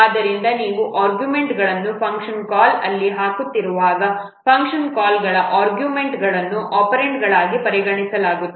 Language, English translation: Kannada, So, whenever you are putting the arguments where in a function call, the arguments of the function call, they are considered as operands